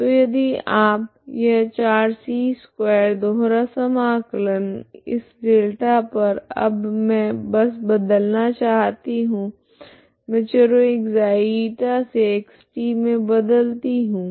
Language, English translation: Hindi, So if you write this 4c square double integral over this delta now I just changed I go from ( ξ ,η) to (x ,t)variables, okay